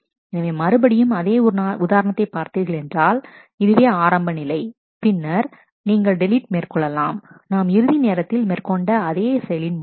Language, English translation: Tamil, So, again looking at the same example this is the initial state and, then you did a delete as we did last time